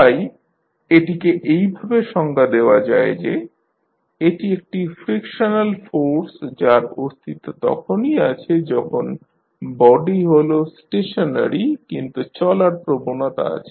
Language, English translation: Bengali, So, it is defined as a frictional force that exist only when the body is stationary but has a tendency of moving